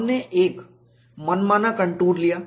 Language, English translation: Hindi, We took a arbitrary contour